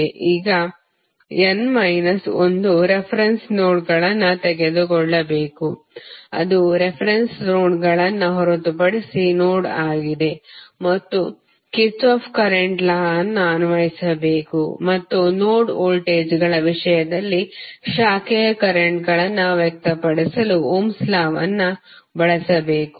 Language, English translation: Kannada, Now, you have to take n minus 1 non reference nodes that is the nodes which are other than the reference nodes and you have to apply Kirchhoff Current Law and use Ohm's law to express the branch currents in terms of node voltages